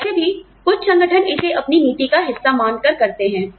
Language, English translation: Hindi, Some organizations, anyway, do it as, part of their policy